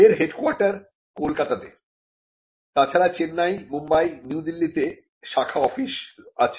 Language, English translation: Bengali, The headquarters is in Kolkata, and there are branches in Chennai, Mumbai, and New Delhi